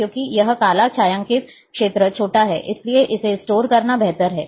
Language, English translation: Hindi, So, because this black area shaded area is smaller so, it is better to store this one